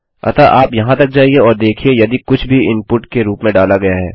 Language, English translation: Hindi, So you go up to here and see if anything has been entered as input